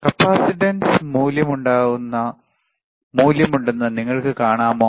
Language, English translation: Malayalam, Can you see there is a capacitance value